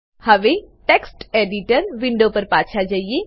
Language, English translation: Gujarati, Now switch back to the Text Editor window